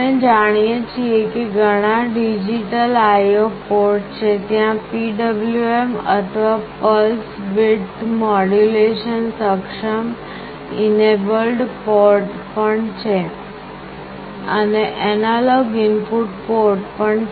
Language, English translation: Gujarati, As we know there are several digital IO ports, there are also PWM or Pulse Width Modulation enabled ports, and there are analog input ports